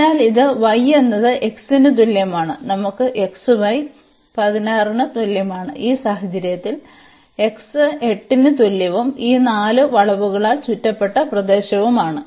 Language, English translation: Malayalam, So, this is y is equal to x and we have x y is equal to 16 and we have in this case x is equal to 8 and the region enclosed by these 4 curves